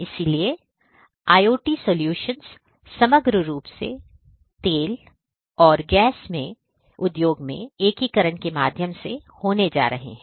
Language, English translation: Hindi, So, overall this is what is going to happen in the oil and gas industry through the integration of IoT solutions